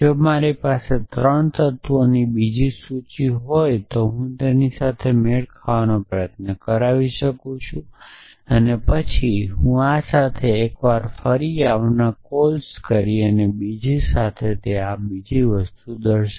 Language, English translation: Gujarati, So, if I have another list of 3 elements I can try to match that and then I will make recursive calls once this with this then another with this and another with this